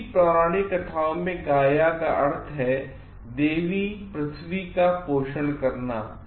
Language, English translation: Hindi, In Greek mythology Gaia means nurturing the goddess earth